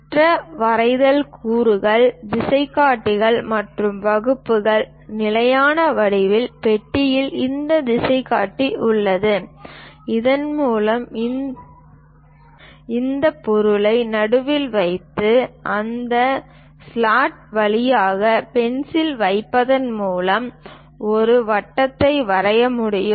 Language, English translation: Tamil, The other drawing components are compasses and dividers; the standard geometrical box consist of this compass through which one can draw circle by keeping this object at the middle and keeping a pencil through that slot, one can draw a perfect circle or an arc